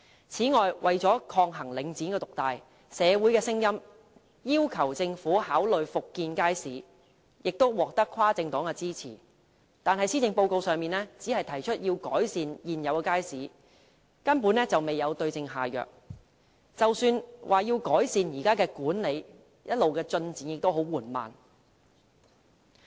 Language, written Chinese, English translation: Cantonese, 此外，為了抗衡領展獨大，社會有聲音要求政府考慮復建街市，建議獲跨政黨支持，但施政報告只是提出改善現有街市，根本未有對症下藥，即使在改善現有街市的管理上，進展一直十分緩慢。, Moreover to counteract the market dominance of The Link REIT communities have urged the Government to consider resuming the construction of public markets . The proposal has won cross - party support yet the Policy Address has only mentioned enhancing existing markets failing to prescribe the right remedy for the problem . Even for enhancement of the management of markets the progress has been quite slow all along